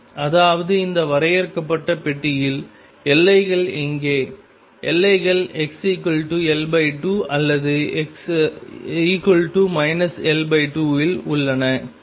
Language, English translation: Tamil, That means, in this finite box where are the boundaries; boundaries are at x equals L by 2 or x equals minus L by 2